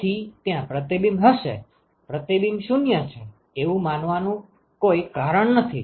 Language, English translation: Gujarati, So, there will be reflection, there is no reason to assume that reflection is 0 ok